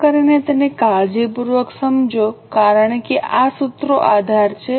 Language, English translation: Gujarati, Please understand it carefully because these formulas are the base